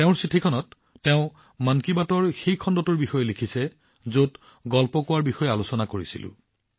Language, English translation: Assamese, In her letter, she has written about that episode of 'Mann Ki Baat', in which we had discussed about story telling